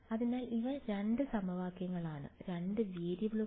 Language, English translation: Malayalam, So, these are 2 equations, 2 variables